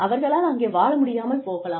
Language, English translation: Tamil, They may not be able to live there